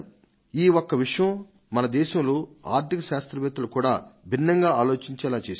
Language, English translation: Telugu, This has also forced the economists of the country to think differently